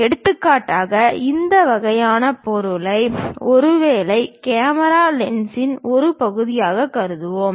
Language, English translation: Tamil, For example, let us consider this kind of object, perhaps a part of the camera lens